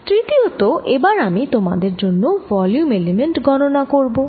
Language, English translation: Bengali, third, i am going to find for you the volume element